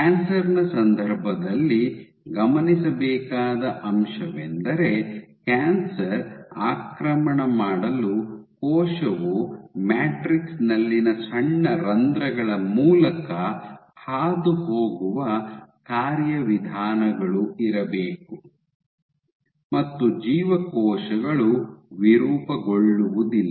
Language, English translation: Kannada, So, in the context of cancers, what has been observed is that for cancers to invade you must have mechanisms by which the cell can pass through small pores in the matrix and cells cannot deform